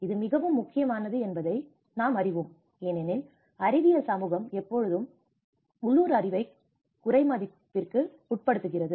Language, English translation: Tamil, You know this is very important because the scientific community always undermines the local knowledge